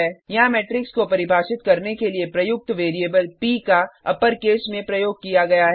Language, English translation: Hindi, Here variable P used to define matrix is in upper case